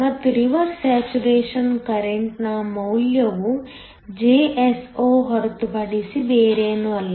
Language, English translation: Kannada, And, the value of the reverse saturation current is nothing but the Jso